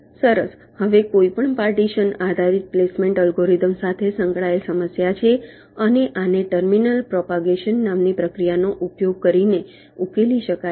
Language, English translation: Gujarati, fine, now there is an associated problem with any partitioning based placement algorithm, and this can be solved by using a process called terminal propagation